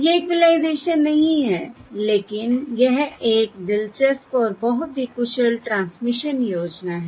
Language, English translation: Hindi, It is not equalisation but it is um and interesting and very efficient transmission scheme